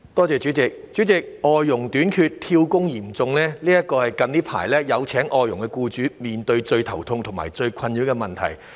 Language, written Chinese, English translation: Cantonese, 主席，外傭短缺、"跳工"嚴重，這是有聘請外傭的僱主近來面對最頭痛和最困擾的問題。, President people who have hired FDHs were recently facing two most troublesome problems causing them a great headache . These are the shortage of FDHs and their frequent job - hopping tendency